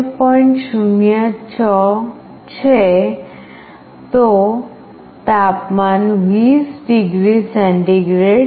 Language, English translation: Gujarati, 06 then the temperature is 20 degree centigrade